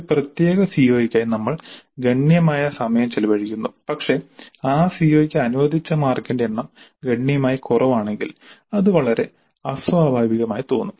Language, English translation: Malayalam, We spend considerable amount of time devoted to a particular CO but in allocating the Mars the number of Mars allocated to that CO is significantly low, it does not look very natural